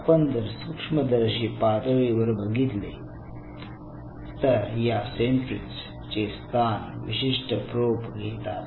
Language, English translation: Marathi, Now at the microscopic level these sentries will be replaced by specific probes